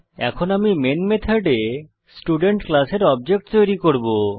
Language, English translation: Bengali, Now inside the main method I will create an object of the Student class